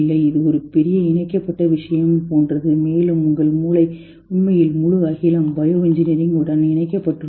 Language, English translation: Tamil, It is like a huge connected thing and your brain is really connected to the whole cosmos